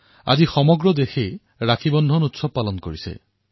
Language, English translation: Assamese, Today, the entire country is celebrating Rakshabandhan